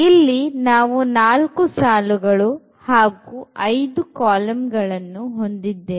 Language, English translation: Kannada, So, we have how many do we have 4 rows and we have 5 columns